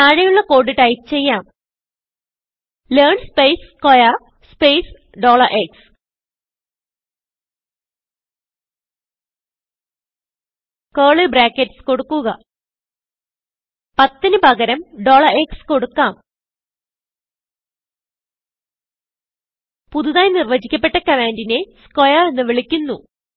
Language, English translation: Malayalam, Let us type the following code learn space square space $x lets include curly brackets lets replace 10 by $x New command that we have defined is called square